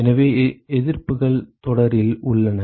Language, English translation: Tamil, So, the resistances are in series